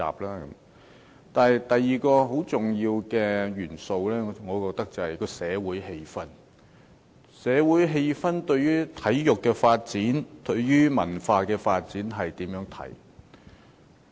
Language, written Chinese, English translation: Cantonese, 而第二個很重要的元素，我便認為是社會氣氛，即社會對體育和文化發展的看法。, As for the second important factor I think it is social atmosphere that is the attitude of the society towards the development of sports and culture